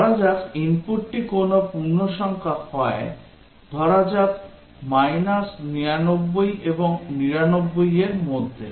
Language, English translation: Bengali, Let's say, the input is an integer of a number let us say between 99 and minus 99